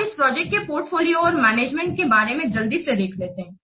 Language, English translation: Hindi, Now, let's quickly see about this pros and cons of the project portfolio management